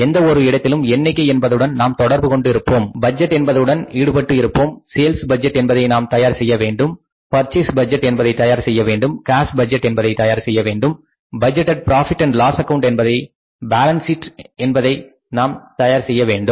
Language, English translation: Tamil, Everywhere we will have to involve the figures involved to the budgeting, we will have to prepare the sales budget, we have to prepare the purchase budgets, we will have to prepare the cash budgets, we have to prepare the budgeted profit and loss account and balance sheet